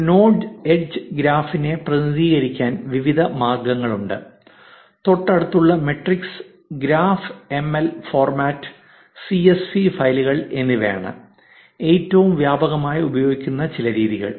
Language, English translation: Malayalam, There are various ways to represent a node edge graph; some of the most widely used methods are adjacency matrix, graph ML format and CSV files